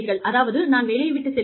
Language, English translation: Tamil, I leave the job